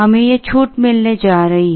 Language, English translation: Hindi, We are going to get this discount